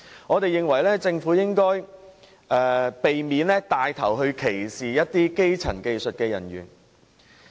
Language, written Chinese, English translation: Cantonese, 我們認為政府應避免牽頭歧視某些基層技術人員。, We believe the Government should not take the lead to discriminate against certain lower - skilled workers